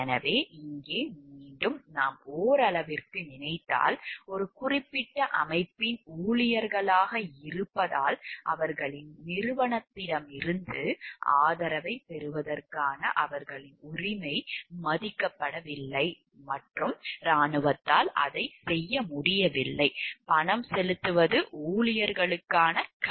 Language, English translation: Tamil, So, here maybe again, if we think to some extent, their right to get a support from their organization by virtue of being employees of a particular organization was not respected and the army could not do it is corresponding duty towards the employees for paying for their defense